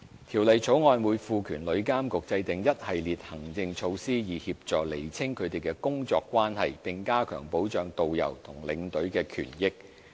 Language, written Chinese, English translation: Cantonese, 《條例草案》會賦權旅監局制訂一系列行政措施，以協助釐清他們的工作關係，並加強保障導遊和領隊的權益。, The Bill will empower TIA to formulate a series of administrative measures to help clarify their working relationships and better protect the interests of tourist guides and tour escorts